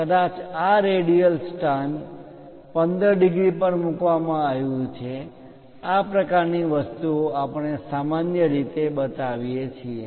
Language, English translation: Gujarati, Perhaps this radial location it is placed at 15 degrees; such kind of things we usually show